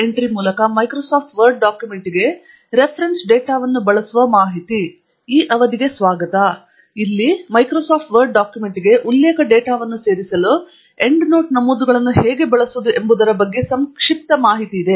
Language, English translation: Kannada, Here is a brief demo on how to use Endnote Entries to add reference data to Microsoft Word document